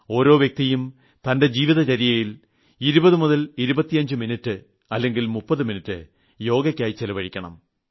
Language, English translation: Malayalam, Each person should take 202530 minutes out from his daily routine and spend it on practicing Yog